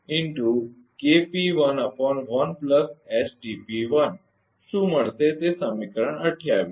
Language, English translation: Gujarati, So, this is actually equation 27, right